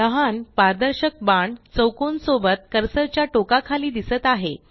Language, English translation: Marathi, A small transparent arrow with a square beneath appears at the cursor tip